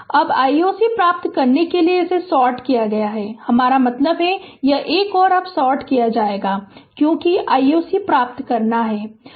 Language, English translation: Hindi, Now, to get I o c this is sorted right I mean this, this 1 and 2 is sorted now because we have to get I o c